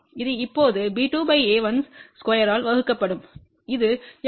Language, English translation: Tamil, This will be now b 2 divided by a 1 square that is S 21